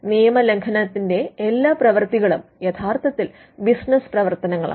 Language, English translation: Malayalam, And all the acts of infringement are actually business activities